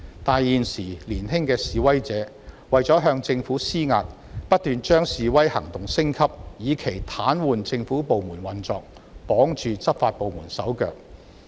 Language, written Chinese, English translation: Cantonese, 但是，現時年輕的示威者為了向政府施壓，便不斷把示威行動升級，以期癱瘓政府部門的運作及綁住執法部門的手腳。, However in order to exert pressure on the Government young protesters keep escalating their actions with a view to paralysing the operation of government departments and tying down the law enforcement departments